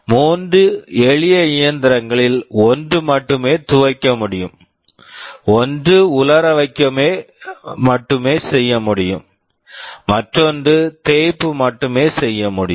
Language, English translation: Tamil, Three simple machines one which can only wash, one can only dry, and one can only iron